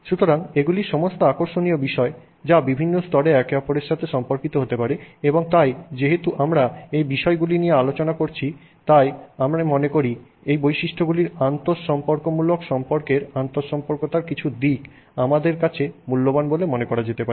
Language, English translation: Bengali, They sort of maybe relate to each other at different levels and so as we discuss these topics, I think some aspect of interrelationship of these properties is of value for us to sort of think about